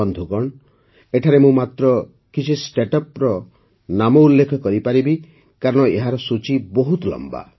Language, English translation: Odia, Friends, I can mention the names of only a few Startups here, because the list is very long